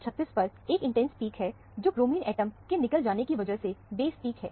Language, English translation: Hindi, There is a intense peak at 136, which is the base peak due to the loss of bromine atom